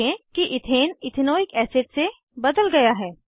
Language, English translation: Hindi, Observe that Ethane is converted to Ethanoic acid